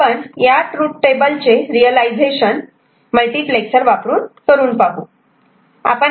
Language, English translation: Marathi, Now, we look at realization of certain truth table using multiplexer right